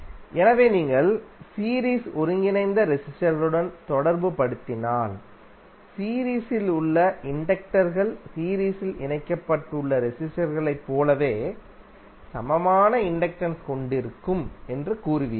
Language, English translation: Tamil, So, if you correlate with the series combined resistors you will say that the inductors in the series combined will have equivalent inductance in the same manner as the resistors which are connected in series